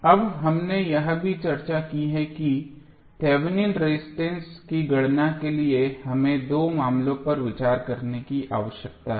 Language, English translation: Hindi, Now, we also discussed that for calculation of Thevenin resistance we need to consider two cases, what was the first case